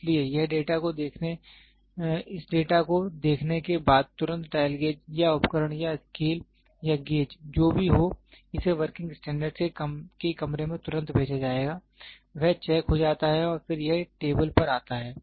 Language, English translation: Hindi, So, looking at this data then immediately the dial gauge the instrument or the scale or gauge, whatever it is will be sent immediately to the to the working standards room, it gets checked and then it comes down to the table